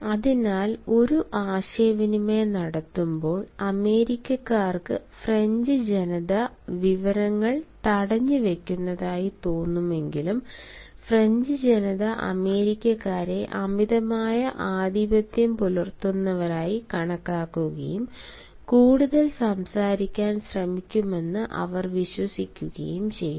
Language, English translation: Malayalam, hence, when there is a communication, while the americans may feel the french people as withholding information, whereas the french people may think americans as excessively dominant and they actually believe that they try to speak more, we have often found that americans require more space